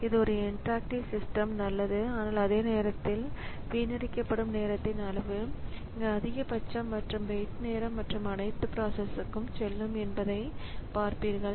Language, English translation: Tamil, So, this is good for an interactive system but at the same time we'll see that the amount of time wasted is the maximum here and the wait time and everything will go up for the processes